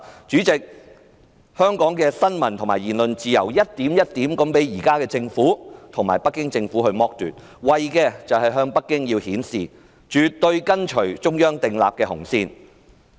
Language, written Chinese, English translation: Cantonese, 主席，香港的新聞自由和言論自由一點一滴地被現時的政府剝奪，為的是向北京顯示香港政府絕對跟隨中央訂立的紅線。, President the freedom of the press and freedom of speech in Hong Kong are taken away from us little by little by the Government in the hope of showing Beijing that it strictly adheres to the red line set by the Central Authorities